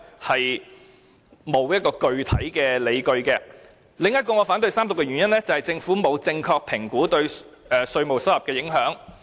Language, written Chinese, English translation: Cantonese, 此外，還有一個原因令我反對三讀這項《條例草案》，就是政府沒有正確評估對稅務收入的影響。, Also there is one more reason why I oppose the Third Reading of the Bill and that is the Government has not correctly assessed the implications on tax income